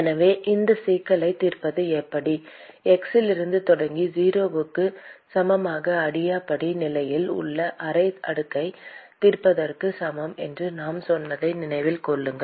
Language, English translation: Tamil, So, remember that we also said solving this problem is equivalent to solving half slab starting from x equal to 0 with the adiabatic condition